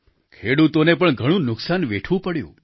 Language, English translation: Gujarati, Farmers also suffered heavy losses